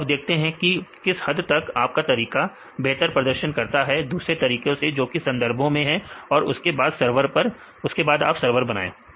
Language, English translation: Hindi, So, see how far your method could perform better than other methods in literature and then you make a server